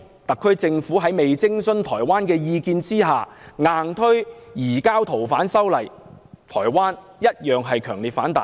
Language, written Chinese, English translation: Cantonese, 特區政府未有徵詢台灣的意見，就強行修訂《條例》，引起了台灣的強烈反彈。, The SAR Government proposing the amendment without consulting Taiwan has provoked strong reactions